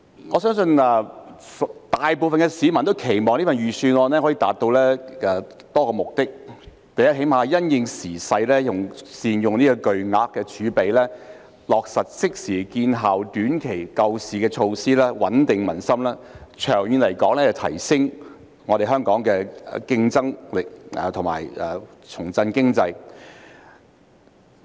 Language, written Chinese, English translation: Cantonese, 我相信大部分市民均期望，這份財政預算案可以達到多個目的，最低限度也會因應時勢，善用這筆巨額儲備，落實即時見效的短期救市措施，穩定民心，長遠而言提升香港的競爭力，重振經濟。, I believe the vast majority of the public would expect that this Budget can achieve several objectives or at least make good use of the huge reserves to implement immediate and effective short - term bail - out measures in the light of the circumstances so as to rebuild peoples confidence as well as enhance Hong Kongs competitiveness and boost the economy in the long run